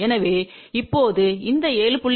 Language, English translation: Tamil, So, now, this 7